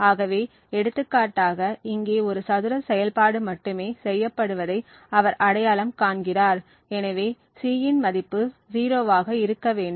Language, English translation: Tamil, So, for example over here he identifies that there is only a square operation that is performed and therefore the value of C should be 0